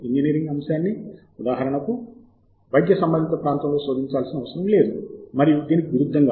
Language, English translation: Telugu, an engineering topic need not be searched, for example, in the medicine area, and vice versa